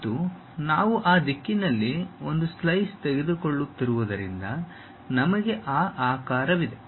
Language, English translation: Kannada, And, because we are taking a slice in that direction, we have that shape